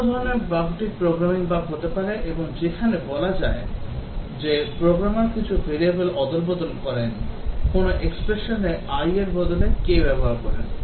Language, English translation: Bengali, Another type of bug may be Programming bug where, let us say the programmer inter changes some variable, instead of using i at some expression he use some k